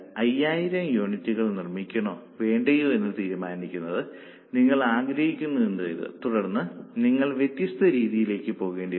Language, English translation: Malayalam, Suppose you want to decide whether to make 5,000 units or not then you will have to go for different methods or different types of techniques